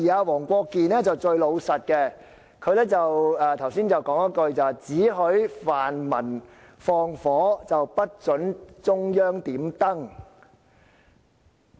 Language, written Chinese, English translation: Cantonese, 黃國健議員反而最老實，他剛才說了一句話："只許泛民放火，不准中央點燈。, Mr WONG Kwok - kin was surprisingly being most honest earlier when he uttered the phrase only allowing the pan - democrats to set fire but not letting the Central Authorities light the lantern